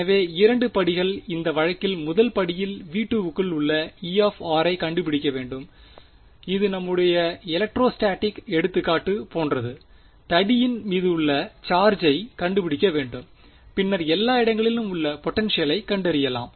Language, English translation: Tamil, So, the 2 steps are in this case the first step is find E of r inside v 2, this was like our electrostatic example we had of the charge on the rod first find the charge then find the potential everywhere you cannot directly find the potential everywhere